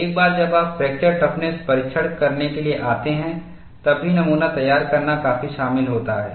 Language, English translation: Hindi, Once you come to fracture toughness testing, even specimen preparation is quite involved